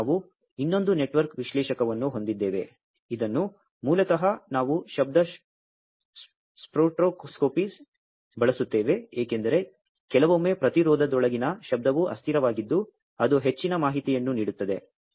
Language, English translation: Kannada, And also we have another network analyser, which basically we use for noise spectroscopy, because sometimes are noise inside the resistance transient that also gives lot of information